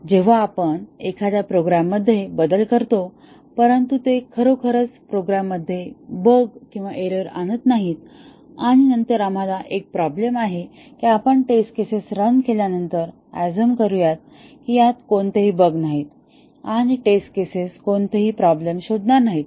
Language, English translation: Marathi, When we make a change to a program, but that does not really introduce a bug into the program and then, we have a problem because we will assume after running the test cases because obviously there are no bugs and the test cases will not detect any problem